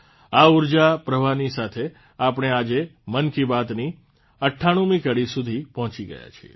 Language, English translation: Gujarati, Moving with this very energy flow, today we have reached the milepost of the 98th episode of 'Mann Ki Baat'